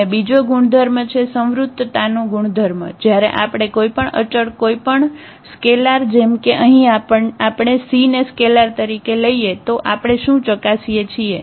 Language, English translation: Gujarati, And another property the closure property what we check when we multiply by any constant any scalar like here we have taken the c as a scalar